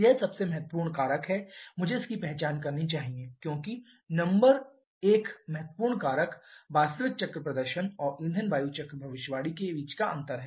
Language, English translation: Hindi, This is one of the most important factor I should identify this as number one important factor in the difference between the actual cycle performance and fuel air cycle prediction